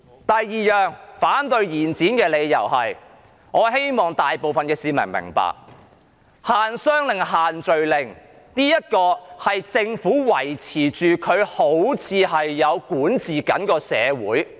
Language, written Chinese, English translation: Cantonese, 第二個反對延展的理由，是我希望大部分市民皆明白到，限商令及限聚令的目的，是政府用以證明自己仍然存在，管治社會。, The second reason why I oppose an extension is my wish that most people can realize the purpose of the business and social gathering restrictions they are used by the Government as a means to justify its very existence and its rule of society so far